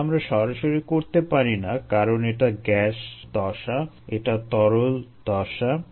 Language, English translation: Bengali, we cannot do that directly because this is gas phase, this is liquid phase